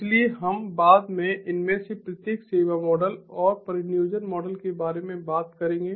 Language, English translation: Hindi, so we will talk about each of these service models and deployment models later on